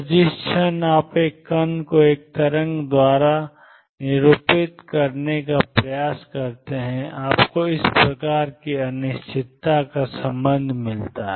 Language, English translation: Hindi, So, the moment you try to represent a particle by a wave, you get this sort of uncertainty relationship